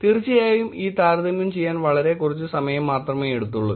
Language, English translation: Malayalam, Of course, it was actually taking very less time to do this comparison